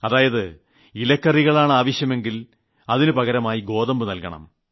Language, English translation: Malayalam, If you wanted vegetables you could give wheat in return